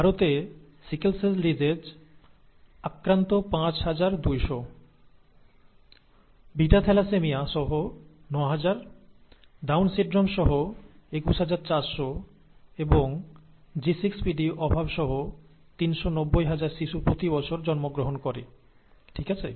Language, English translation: Bengali, In India, an estimated five thousand two hundred infants with sickle cell disease, nine thousand with something called beta thalassaemia, twenty one thousand four hundred with Down syndrome and , three hundred and ninety thousand with G6PD deficiency are born each year, okay